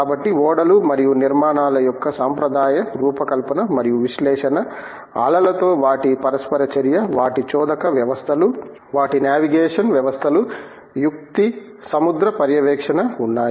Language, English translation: Telugu, So, there is the traditional design and analysis of ships and structures, their interaction with the waves, their propulsion systems, their navigation systems, the manoeuvring, the sea keeping